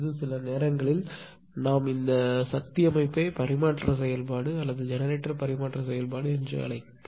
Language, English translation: Tamil, This is actually sometimes we call this is power system transfer function or generator transfer function right